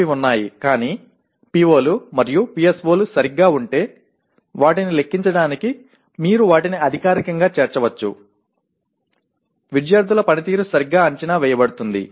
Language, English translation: Telugu, They are there but you can only include them formally in trying to compute the attainment of POs and PSOs if they are properly, the performance of the students is properly evaluated